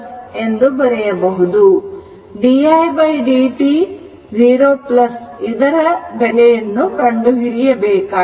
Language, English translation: Kannada, So, di dt 0 plus has been asked to find out